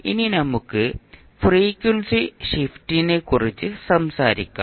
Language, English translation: Malayalam, Now let’ us talk about the frequency shift